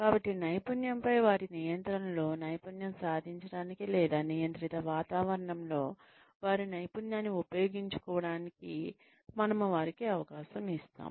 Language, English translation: Telugu, So, we give them a chance, to master their control, over the skill, or, their use of the skill, in controlled environments